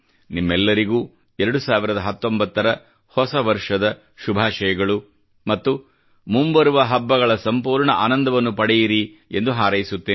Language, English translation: Kannada, I wish all of you a great year 2019 and do hope that you all to enjoy the oncoming festive season